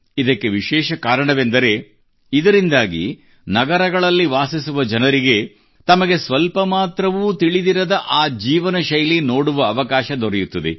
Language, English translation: Kannada, Specially because through this, people living in cities get a chance to watch the lifestyle about which they don't know much